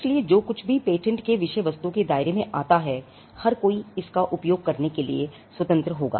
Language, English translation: Hindi, So, whatever was covered by the subject matter of a patent, will then be free for everybody to use it